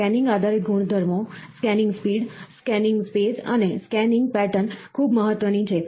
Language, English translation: Gujarati, Scanning related properties are; scanning speed, scanning space and scanning pattern, is very important